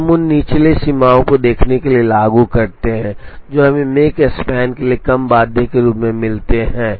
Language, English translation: Hindi, So, we apply those lower bounds to see, what we get as a lower bound for the make span